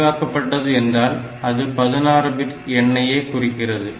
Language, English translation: Tamil, So, extended means it is 16 bit